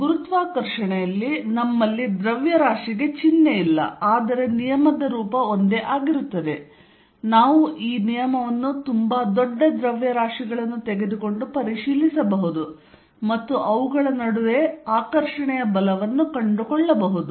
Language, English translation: Kannada, In gravitation, we have mass does not have a sign, but the form of the law is the same, the way when could check this law by taking too large masses and find in the force of attraction between them